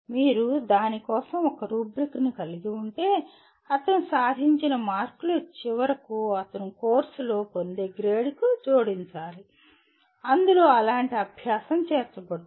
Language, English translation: Telugu, Once you have a rubric for that the marks that he gain should finally get added to the grade that he gets in that course in which such an exercise is included